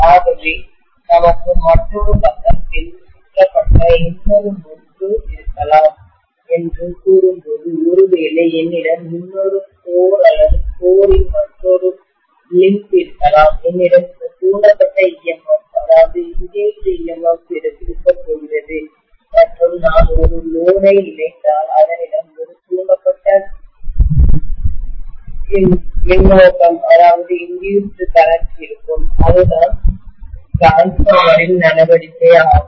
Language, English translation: Tamil, So when we say that we have probably another winding wound on another side, maybe I have another core or another limb of the core, I am going to have some induced EMF and if I connect a load, it will have an induced current, that is what is transformer action